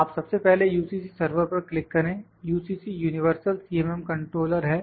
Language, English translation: Hindi, You first click on the UCC server UCC as I said UCC is Universal CMM Controller